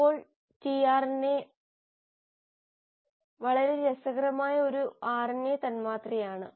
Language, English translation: Malayalam, Now tRNA is a very interesting RNA molecule